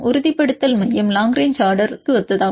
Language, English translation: Tamil, Stabilization center is also similar to long range order